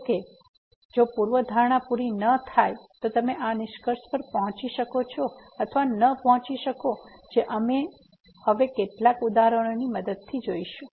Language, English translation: Gujarati, However, if the hypothesis are not met then you may or may not reach the conclusion which we will see with the help of some examples now